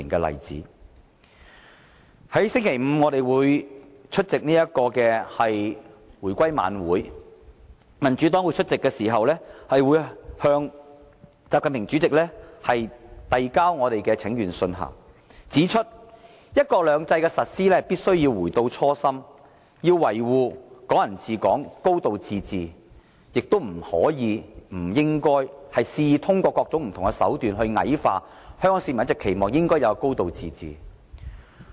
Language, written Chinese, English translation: Cantonese, 民主黨將於星期五出席回歸晚會，屆時會向國家主席習近平遞交請願信，表明"一國兩制"的實施必須回到初心，要維護"港人治港"、"高度自治"，亦不可及不應肆意通過各種手段矮化香港市民一直期望應有的"高度自治"。, The Democratic Party will attend the reunification show on Friday evening . We will take this opportunity to submit a petition to President XI Jinping stating that one country two systems should be implemented in the way it was originally intended; that the principles of Hong Kong people ruling Hong Kong and a high degree of autonomy must be upheld and that the importance of a high degree of autonomy which has all along been the aspiration of Hong Kong people must not be belittled arbitrarily